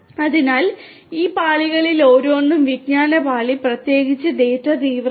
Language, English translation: Malayalam, So, each of these layers you know so knowledge layer particularly is quite you know data intensive